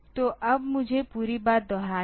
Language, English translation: Hindi, So, over now I have to repeat the whole thing